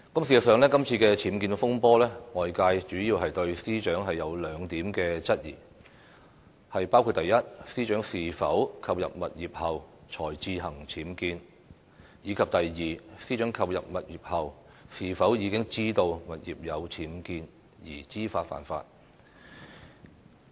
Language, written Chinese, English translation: Cantonese, 事實上，今次僭建風波，外界主要對司長有兩點質疑：第一，司長是否購入物業後才自行僭建；第二，司長購入物業後，是否已知道物業有僭建而知法犯法。, In fact regarding the current controversy over UBWs the public has mainly raised two queries concerning the Secretary for Justice first did the Secretary for Justice carry out the UBWs after purchasing the property; second did the Secretary for Justice knowingly violate the law given that she knew there were UBWs in the property after the purchase